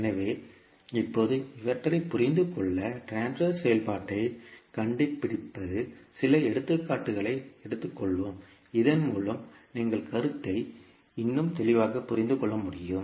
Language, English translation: Tamil, So, now to understand these, the finding out the transfer function let us take a few examples so that you can understand the concept more clearly